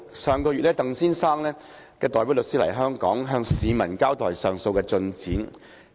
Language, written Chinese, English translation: Cantonese, 上月，鄧先生代表律師來港，向市民交代上訴進展。, Mr TANGs legal representative came to Hong Kong last month to give members of the public an account of the progress of the appeal